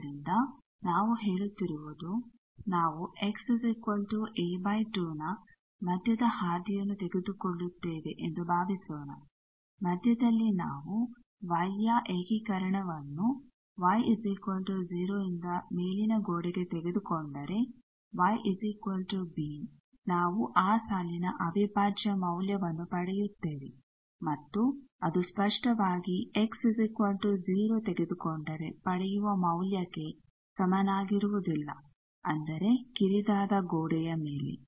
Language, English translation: Kannada, So, that is why we are saying, suppose we take the middle path that is x is equal to a by 2 at the middle if we take that integration of y from y is equal to 0 to the top wall y is equal to b we will get some value of that line integral and that obviously, is not equal to the thing if we do that let us say x is equal to 0; that means, on the narrow wall